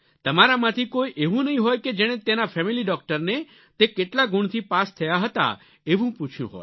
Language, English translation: Gujarati, There would not be a single person in your family who might have asked that family doctor as to how many marks did he score while passing his exam